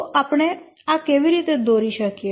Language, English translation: Gujarati, So how do we draw this